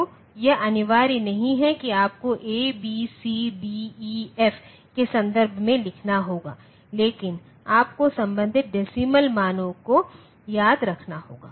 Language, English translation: Hindi, So, that it is not mandatory that you have to write in terms of A, B, C, D, E, F like that you have to remember the corresponding decimal values